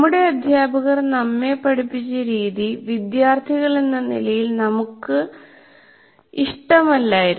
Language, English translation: Malayalam, And as students, we did not like the way our most of our teachers taught